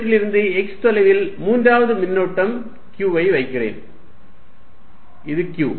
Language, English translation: Tamil, And I put a third charge q at a distance x from them, this is q